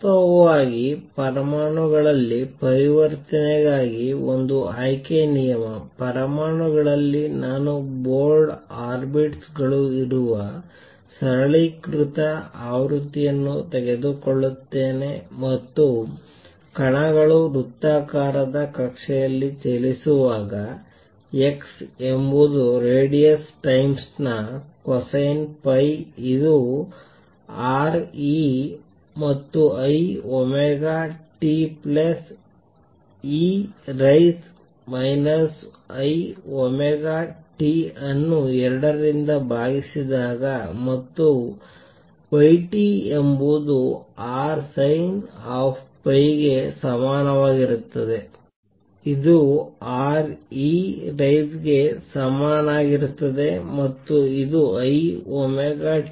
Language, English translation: Kannada, In fact, one selection rule for transition in atoms; in atoms I take the simplified version where the board orbits are there and particles are moving in circular orbits when the particles are moving in a circular orbits, x is the radius times cosine of phi which is R e raise to i omega t plus e raise to minus I omega t divided by 2 and y t is equal to R sin of phi which is equal to R e raise to i omega t minus e raise to minus i omega t divided by 2 i where omega is the frequency revolution